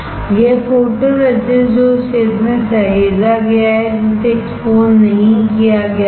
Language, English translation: Hindi, This is photoresist which is saved in the area which was not exposed